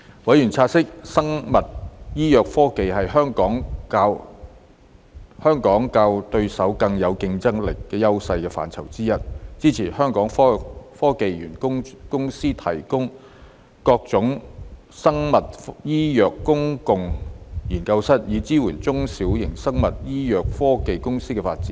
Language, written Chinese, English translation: Cantonese, 委員察悉，生物醫藥科技是香港較對手更具競爭優勢的範疇之一，支持香港科技園公司提供各種生物醫藥公共研究室，以支援小型生物醫藥科技公司的發展。, Noting that biomedical technology was one of the areas which Hong Kong had competitive edge over its regional competitors members supported the provision of various biomedical communal laboratories by the Hong Kong Science and Technology Parks Corporation to support the growth of small biomedical technology companies